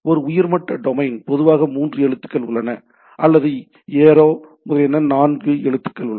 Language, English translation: Tamil, So, there is a top level domain typically three characters or there are aero etcetera which is four characters